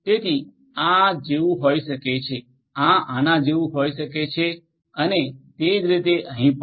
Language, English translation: Gujarati, So, this can be like this, this can be like this, right and similarly over here as well